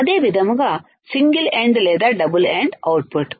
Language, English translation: Telugu, Same way single ended or double ended output